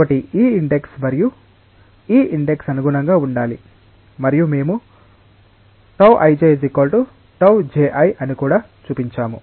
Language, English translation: Telugu, So, this index and this index they should correspond and we also showed that tau ij is equal to tau j i